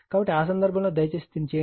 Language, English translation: Telugu, So, in that case, you please do it